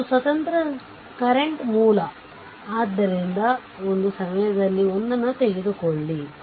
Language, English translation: Kannada, One independent current source so take one at a time